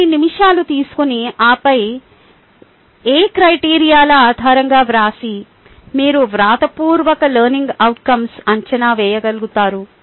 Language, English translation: Telugu, take a couple of minutes and then write down based on what criteria you will be able to evaluate the written learning outcomes